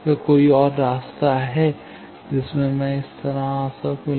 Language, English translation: Hindi, Is there any other path can I come like this